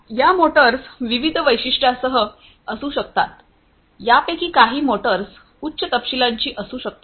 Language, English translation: Marathi, These motors can be of different specifications, some of these motors can be of higher specification